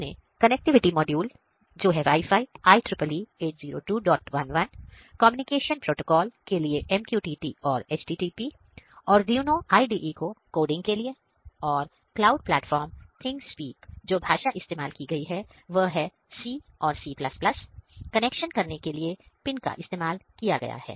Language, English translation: Hindi, We are using communication protocol MQTT and HTTP, we have used Arduino IDE for our coding purposes and the cloud platform is ThingSpeak and the language used is C and C ++; now, the pin connections ok